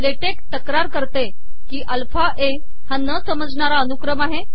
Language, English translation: Marathi, Latex complains that alpha a is an undefined control sequence